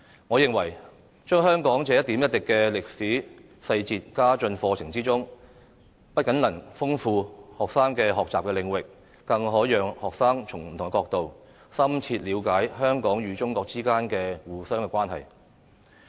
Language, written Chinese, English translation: Cantonese, 我認為將香港這一點一滴的歷史細節加進課程之中，不僅能豐富學生的學習領域，更可讓學生從不同角度，深切了解香港與中國之間的相互關係。, In my view the inclusion of details of such historical events in Hong Kong will not only enrich students areas of study but also enable students to thoroughly understand the interactive relationship between Hong Kong and China from different perspectives